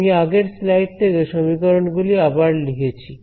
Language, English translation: Bengali, So, I have rewritten the equation from the previous slide over here right